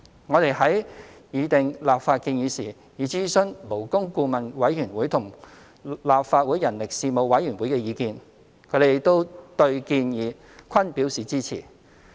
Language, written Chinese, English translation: Cantonese, 我們在擬訂立法建議時，已諮詢勞工顧問委員會和立法會人力事務委員會的意見，他們對建議均表示支持。, We have consulted the Labour Advisory Board and the Legislative Council Panel on Manpower when drawing up the legislative proposal . They have expressed support for the proposal